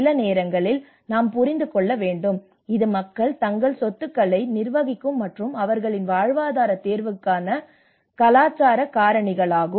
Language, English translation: Tamil, Sometimes we also have to understand it is also true the cultural factors which people manage their assets and make their livelihood choices to act upon